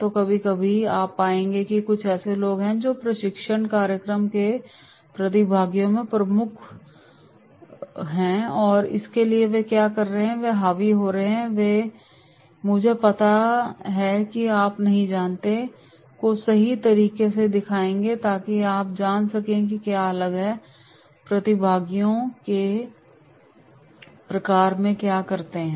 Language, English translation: Hindi, So sometimes you will find there are certain people there are dominant trainees in the training program participants so what they are doing, they are dominating, they will show “I know you do not know” right so you must be knowing that is there are different types of the participants what they do